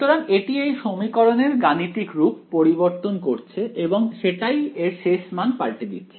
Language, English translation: Bengali, So, that is the changing the mathematical form of the equation itself right and that is what changing the final result ok